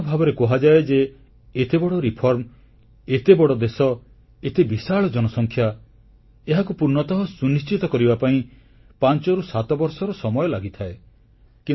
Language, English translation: Odia, It is generally believed that such a big tax reform, in a huge country like ours with such a large population takes 5 to 7 years for effective adoption